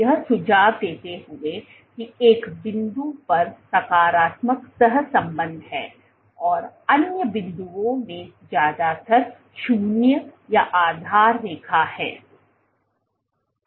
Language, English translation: Hindi, So, suggest that there is at one point there is a positive correlation at other points is mostly 0 or baseline